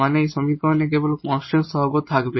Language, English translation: Bengali, So, this equation now is with constant coefficients